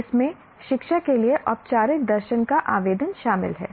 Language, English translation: Hindi, It involves the application of formal philosophy to education